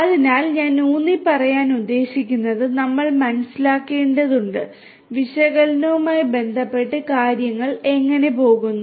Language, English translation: Malayalam, So, what I would like to emphasize is we need to understand; we need to understand how things go on with respect to the analytics